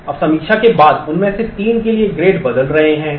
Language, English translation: Hindi, Now, after reviews grades for three of them are getting changed